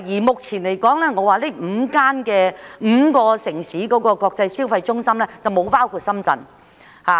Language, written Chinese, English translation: Cantonese, 目前來說，上述5個國際消費中心城市並未包括深圳。, At present Shenzhen also feels anxious as it is not among the five aforesaid international consumption centre cities